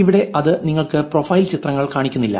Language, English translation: Malayalam, Here it is not showing you the profile pictures